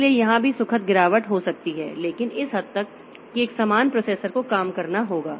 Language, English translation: Hindi, So, here also I can have graceful degradation but to the extent that a similar processor has to take up the job